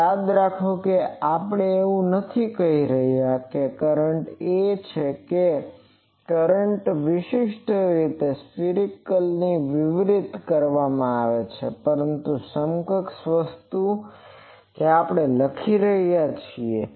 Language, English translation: Gujarati, So, remember we are not saying that the current is that current is circumferentially distributed, but equivalent thing that we take